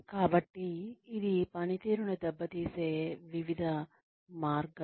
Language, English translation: Telugu, So, various ways in which, this can hamper performance